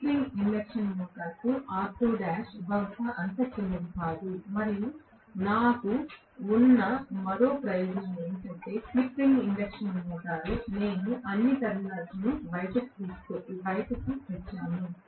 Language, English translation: Telugu, Whereas R2 dash is probably not so small for slip ring induction motor and one more advantage I have, slip ring induction motor I have brought out all the terminals